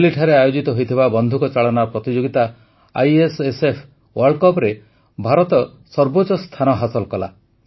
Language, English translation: Odia, India bagged the top position during the ISSF World Cup shooting organised at Delhi